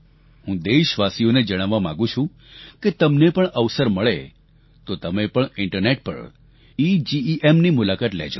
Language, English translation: Gujarati, Here I want to tell my countrymen, that if you get the opportunity, you should also visit, the EGEM, EGEM website on the Internet